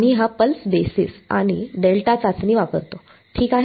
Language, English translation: Marathi, We use this pulse basis and delta testing ok